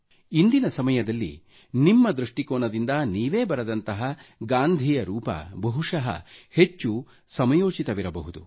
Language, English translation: Kannada, And it is possible that in present times, from your viewpoint, the penpicture of Gandhi sketched by you, may perhaps appear more relevant